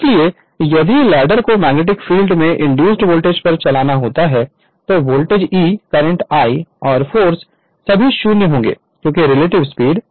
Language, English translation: Hindi, So, if the ladder were to move at the same speed at the magnetic field the induced voltage E, the current I, and the force would all be 0 because relative speed will be 0 right